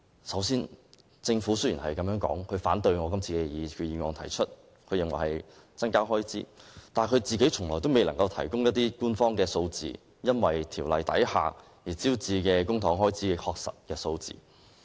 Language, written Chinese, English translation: Cantonese, 雖然政府反對我今次提出的擬議決議案，認為會增加開支，但卻從未能提供官方數字，說明該條例所招致公帑開支的確實數字。, Despite its citation of the charging effect to oppose my resolution the Government could not tell us officially the exact amount of Government expenditure to be incurred by the legislative amendment